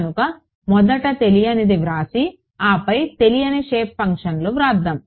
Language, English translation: Telugu, So, the first unknown let us write the unknown and then the shape function